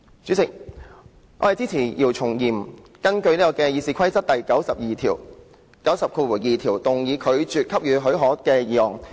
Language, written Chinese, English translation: Cantonese, 主席，我支持姚松炎議員根據《議事規則》第902條動議拒絕給予許可的議案。, President I support Dr YIU Chung - yims motion moved under Rule 902 of the Rules of Procedure that the leave be refused